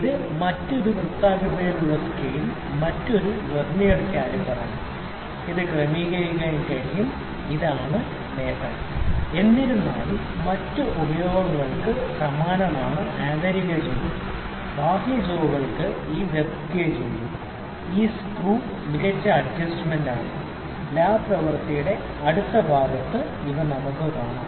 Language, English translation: Malayalam, So, this is another Vernier caliper which is having this circular scale and it can be adjusted, this is the advantage; however, the other uses are same it has internal jaws, external jaws it has this depth gauge and this screw is the fine adjustment screw let us meet to the next part of the lab demonstration